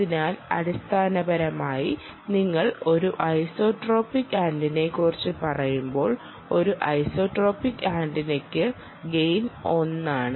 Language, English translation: Malayalam, when you talk about an isotropic and ideal isotropic antenna, the gain is one